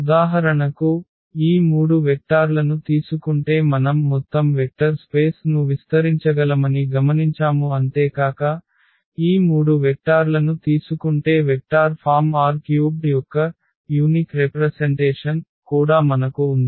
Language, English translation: Telugu, So, for instance in this case we have observed that taking these 3 vectors we can span the whole vector space and also the moreover the main point is that we have also the unique representation of the vector form R 3 if we take these 3 vectors